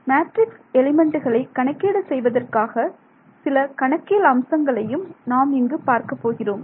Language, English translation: Tamil, So, far we did not talk at all about how we will calculate matrix elements right